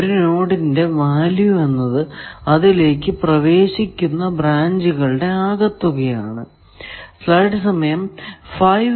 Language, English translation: Malayalam, Value of a node is equal to the sum of the values of the branches entering it